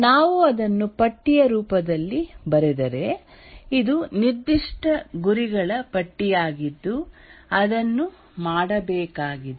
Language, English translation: Kannada, If we write it in the form of a list, it is the list of specific goals, That is what needs to be done